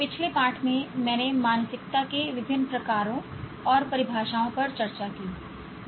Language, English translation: Hindi, In the last one, I discussed various types and definitions of mindset